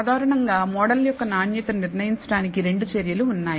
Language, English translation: Telugu, Typically, there are two measures for determining the quality of the model